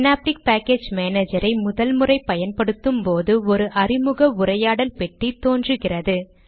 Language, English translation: Tamil, When we use the synaptic package manager for the first time, an introduction dialog box appears